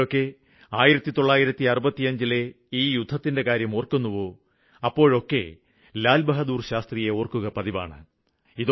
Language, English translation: Malayalam, And whenever we talk of the 65 war it is natural that we remember Lal Bahadur Shastri